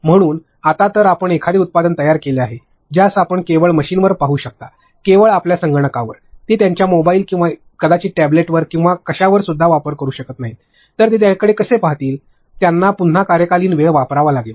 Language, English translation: Marathi, So, at that time now if you have made a product which you can look at only on the machine, only on your computer they cannot access it on their mobile or maybe a tablet or something else then how will they look at it, they have to again based there time in office